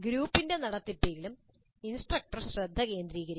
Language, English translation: Malayalam, Instructor must also focus on the process of group itself